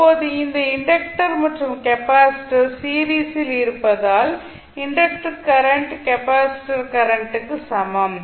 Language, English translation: Tamil, Now, since the inductor and capacitor are in series the inductor current is the same as the capacitor current, so what we can say